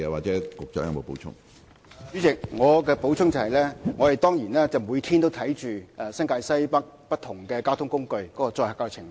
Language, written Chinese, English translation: Cantonese, 主席，我的補充答覆就是，我們當然每天都監察新界西北不同交通工具的載客情況。, President my supplementary reply is of course we will monitor the patronage of different modes of transport in NWNT daily